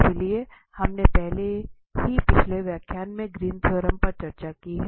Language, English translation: Hindi, So, we have already discussed the Green’s theorem in previous lectures